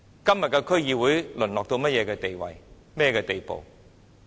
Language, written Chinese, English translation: Cantonese, 今天的區議會已淪落到甚麼地步？, How deplorable a state has the DCs degenerated into now?